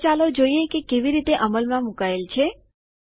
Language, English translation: Gujarati, So let us see how it is implemented